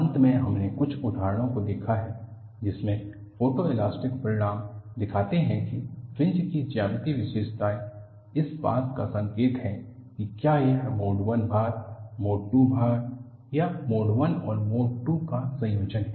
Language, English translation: Hindi, Finally, we have looked at some examples, wherein photo elastic results show, the geometric features of the fringe are indicative of whether it is a mode 1 loading, mode 2 loading or a combination of mode 1 and mode 2